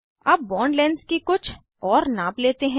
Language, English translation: Hindi, Lets do some more measurements of bond lengths